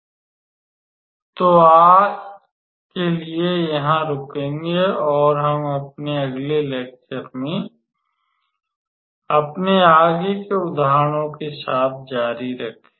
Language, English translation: Hindi, So, we will stop here for today and we will continue with our further examples in our next lecture